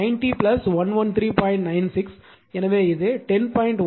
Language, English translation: Tamil, 96 so, it will be your 10